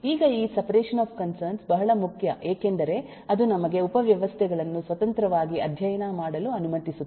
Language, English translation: Kannada, now, this separation of concern is very, very important because that is what allows us to study the subsystems independently